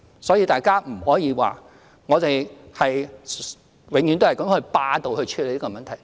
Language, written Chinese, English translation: Cantonese, 所以，大家不可以說，我們永遠是霸道地處理問題。, So one cannot say that we always handle matters despotically